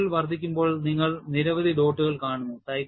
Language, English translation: Malayalam, And when the cycle is increased, you see several dots